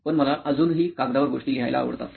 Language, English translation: Marathi, But I personally still like to write things on paper